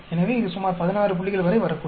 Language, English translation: Tamil, So, it may come up to around 16 point something